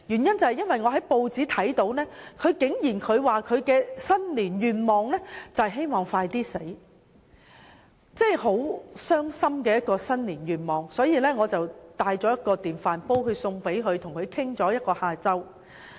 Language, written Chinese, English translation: Cantonese, 因為我從報章得知她的新年願望是希望盡快死去，這真是一個令人傷心的新年願望，於是我帶了一個電飯煲送給她，與她聊了一個下午。, I went to visit her because I was saddened to learn from news reports that it was her New Year wish to die as early as possible and I therefore gave her an electric rice cooker as a gift and spent one whole afternoon chatting with her